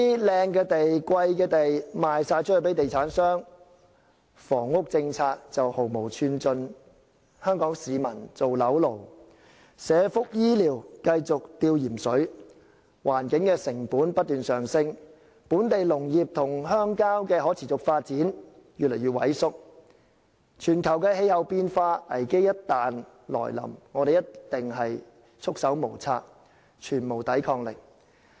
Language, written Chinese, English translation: Cantonese, "靚地"、"貴地"全部賣給地產商，房屋政策毫無寸進，香港市民做樓奴，社福醫療繼續"吊鹽水"，環境成本不斷上升，本地農業與鄉郊社區越來越萎縮，全球氣候變化危機一旦來臨，我們一定束手無策，全無抵抗力。, Prime sites and pricey sites will all be sold to developers . No progress will be made to the housing policy and Hong Kong people will continue to be mortgage slaves while social welfare and health care continue to be on a saline drip . Environmental costs keep increasing and local agricultural and rural communities are shrinking; in the event of any crisis of global climate change we will certainly be rendered helpless due to our loss of immunity